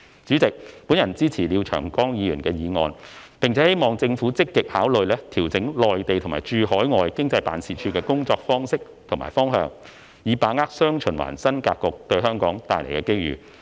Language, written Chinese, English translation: Cantonese, 主席，本人支持廖長江議員的議案，並希望政府積極考慮調整駐內地和駐海外經濟貿易辦事處的工作方式和方向，以把握"雙循環"新發展格局對香港帶來的機遇。, President I support the motion of Mr Martin LIAO and hope that the Government can actively consider adjusting the work practice and directions of the Hong Kong Economic and Trade Offices in the Mainland and in overseas so as to seize the opportunities brought to Hong Kong by the new development pattern featuring dual circulation